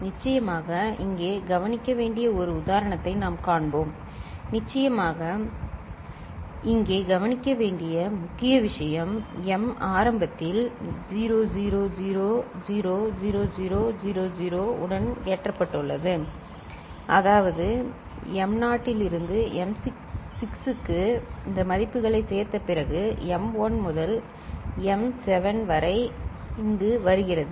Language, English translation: Tamil, We shall see one example of course, right and the other important point to be noted here of course, the m initially is loaded with 00000000, is that the m naught to m6 these values after addition is coming here as m1 to m7